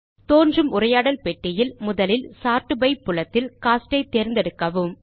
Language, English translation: Tamil, In the dialog box which appears, first select Cost in the Sort by field